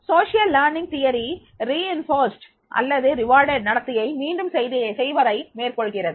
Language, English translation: Tamil, Social learning theory also recognizes that behavior that is reinforced or rewarded tends to be repeated